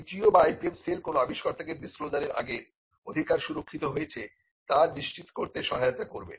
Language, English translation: Bengali, The TTO or the IPM cell would help an inventor to ensure that the rights are protected before a disclosure is made